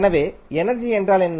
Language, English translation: Tamil, So, what is energy